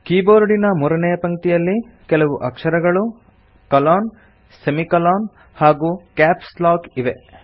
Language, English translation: Kannada, The third line of the keyboard comprises alphabets,colon, semicolon, and Caps lock keys